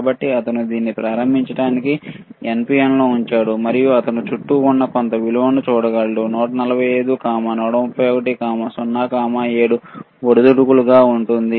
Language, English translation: Telugu, So, he is placing this in NPN to start with, and he can see some value which is around 145, 131, 0, 7 keeps on fluctuating